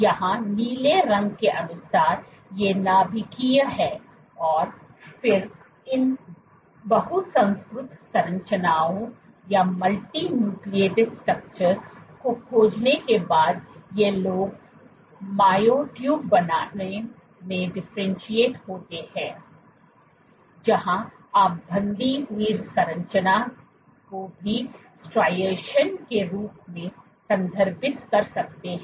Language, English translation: Hindi, Here by blue these are the Nuclear and then after found these multinucleated structures, these guys differentiate to form myotubes, where you can see the banded structure also referred to as striations